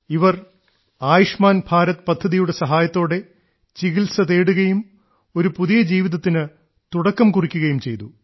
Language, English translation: Malayalam, They got their treatment done with the help of Ayushman Bharat scheme and have started a new life